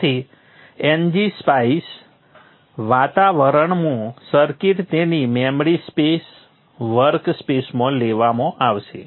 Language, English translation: Gujarati, So the NG Spice environment has the circuit taken into its memory space, workspace